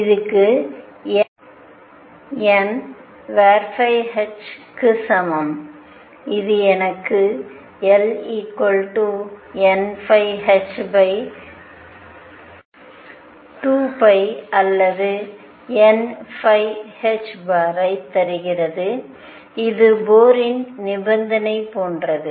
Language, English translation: Tamil, This is equal to n phi h which gives me L equals n phi h over 2 pi or n phi h cross which is the same as Bohr’s condition